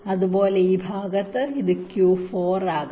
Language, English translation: Malayalam, similarly, on this side, this can be q four